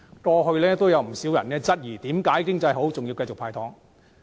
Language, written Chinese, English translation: Cantonese, 過去亦有人質疑，為何經濟向好仍然繼續"派糖"。, Some people have questioned why the Government continued to give away candies even when the economy was looking up